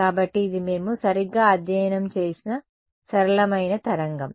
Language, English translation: Telugu, So, this is the simplest kind of wave that we have studied right